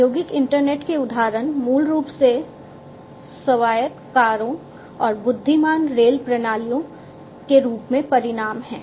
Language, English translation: Hindi, Examples of industrial internet are basically outcomes such as having autonomous cars, intelligent railroad systems and so on